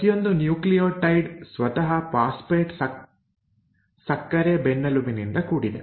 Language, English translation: Kannada, Now each nucleotide itself is made up of a phosphate sugar backbone